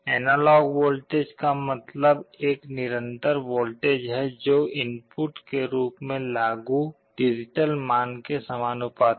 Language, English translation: Hindi, Analog voltage means a continuous voltage which will be proportional to the digital value I am applying as the input